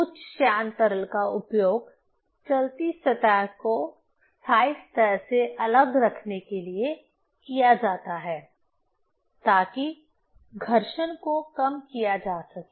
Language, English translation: Hindi, Higher viscous liquid is used to keep separate the moving surface from the fixed surface to reduce the friction, right